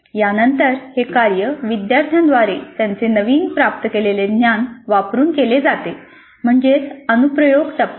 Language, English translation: Marathi, This is followed by the learners engaging with the task applying their newly acquired knowledge so that is the application phase